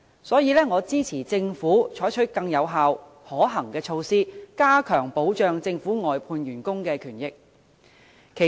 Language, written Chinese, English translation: Cantonese, 所以，我支持政府採取更有效、可行的措施，加強保障政府外判員工的權益。, Therefore I support the Government taking more effective and practicable measures to enhance the protection of the rights and benefits of outsourced workers of the Government